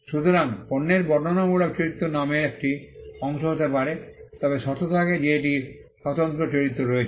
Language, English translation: Bengali, So, the descriptive character of the product can be a part of the name provided it has a distinctive character